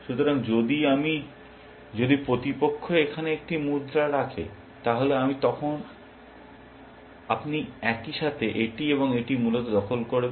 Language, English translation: Bengali, So, if I, if the opponent were to put a coin here, then I then you would simultaneously capture this and this essentially